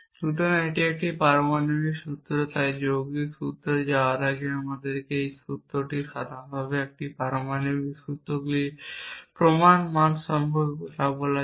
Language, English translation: Bengali, So, this is a set atomic formulas so before moving on to compound formulas or our formula is in general let us talk about the proof values of these atomic formulas